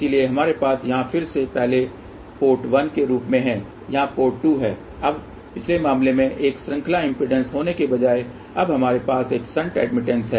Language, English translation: Hindi, So, we have here again as before port 1 here, port 2 here, now instead of having a series impedance in the previous case now we have a shunt admittance